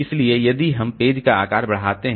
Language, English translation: Hindi, But that way it will increase the page table size